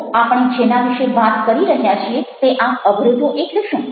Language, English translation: Gujarati, so what are the barriers we are talking about